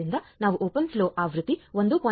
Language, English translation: Kannada, So, we will be using open flow version 1